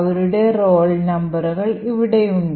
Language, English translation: Malayalam, So, their roll numbers are present here